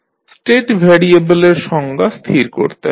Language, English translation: Bengali, You have to define the State variables